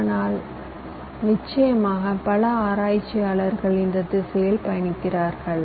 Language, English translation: Tamil, but of course many research us are walking in this direction